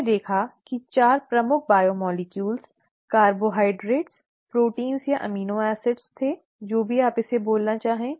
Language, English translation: Hindi, We saw that there were 4 major biomolecules, carbohydrates, proteins or amino acids, whichever you want to call it